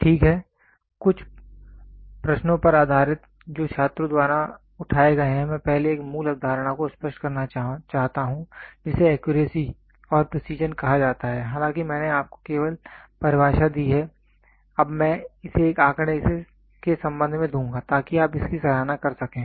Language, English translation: Hindi, Ok based on some of the queries which are raised by the students I would like to explain first a basic concept called accuracy and precision though I gave you only the definition now I will give it with respect to a figure, so that you can appreciate it